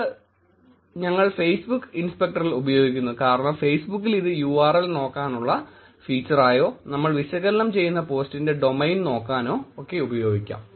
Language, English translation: Malayalam, We use this in Facebook inspector because in Facebook inspector it is also going to look at URL as the feature or particularly the domain as a feature from the post that we are analyzing